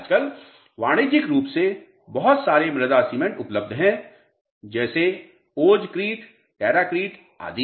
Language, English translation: Hindi, Nowadays lot of commercially available soil cements are available Oz Crete, terracrete and so on